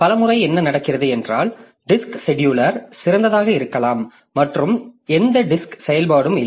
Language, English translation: Tamil, So, many times what happens is that the disk scheduler it may be idle and we do not have any disk activity